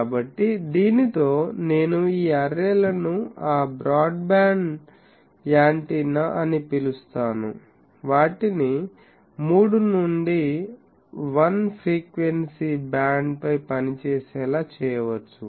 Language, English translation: Telugu, So, with this a thing I can say that these arrays are called, in that sense broadband antenna, they can be made to operate over a 3 to 1 frequency band